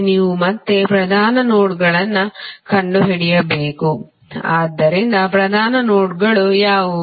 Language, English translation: Kannada, You have to again find out the principal nodes, so what are the principal nodes